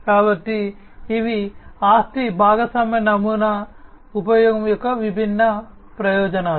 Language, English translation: Telugu, So, these are some of the different advantages of the use of the asset sharing model